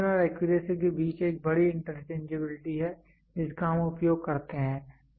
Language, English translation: Hindi, There is a big interchangeability we use between precision and accuracy